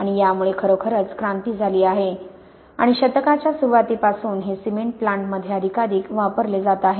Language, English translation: Marathi, And this has really made a revolution and since the turn of the century this is now more and more implanted in cement plants